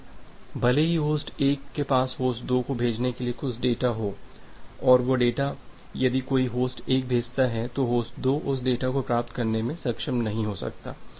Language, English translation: Hindi, Now, even if host 1 has some data to send to host 2 that particular data if any host 1 sent it, host 2 may not be able to receive that data